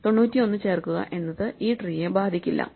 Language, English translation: Malayalam, So, insert ninety one has no effect on this tree